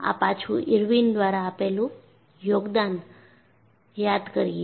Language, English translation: Gujarati, This is again, the contribution by Irwin